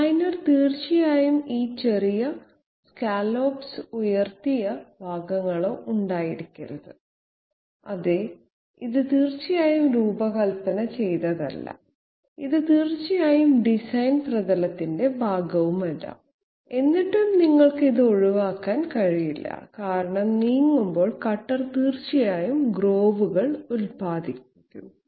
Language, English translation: Malayalam, The designer definitely must not have had these you know small scallops or upraised portions all along the surface, yes this was definitely not designed and this was definitely not part of the design surface but still you cannot avoid it because the cutter while moving through will definitely produce these grooves